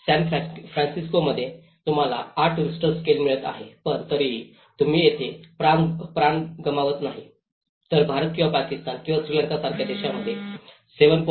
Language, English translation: Marathi, In San Francisco, you are getting eight Richter scale but still, you are not losing lives over there but in India countries like India or Pakistan or Sri Lanka even a 7